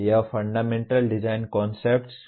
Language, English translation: Hindi, That is what fundamental design concepts